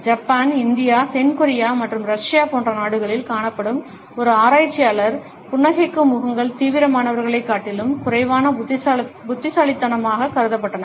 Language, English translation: Tamil, One researcher found in countries like Japan, India, South Korea and Russia smiling faces were considered less intelligent than serious ones